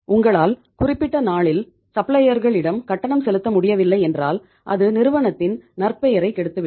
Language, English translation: Tamil, And if you are not able to make the payment to supplier on the due date, it will spoil the reputation of the firm